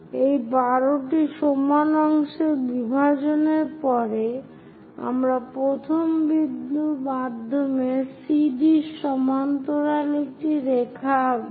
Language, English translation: Bengali, After division of these 12 equal parts, what we will do is, through 1, through the first point draw a line parallel to CD